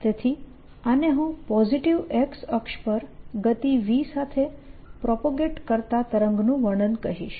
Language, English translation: Gujarati, so this is i will call description of a wave propagating with speed v along the positive x axis